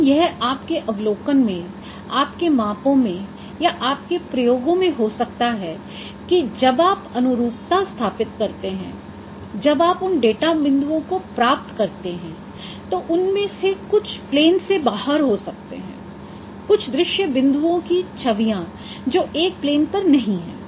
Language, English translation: Hindi, But it may happen in your observation, in your measurements or in your experiments when you establish those correspondences, when you get those data points, some of them may be out of the plane, images of some scene points which are not lying on the same plane